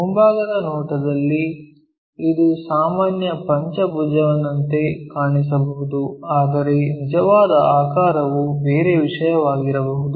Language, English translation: Kannada, In the front view, it might look like a regular pentagon, but true shape might be different thing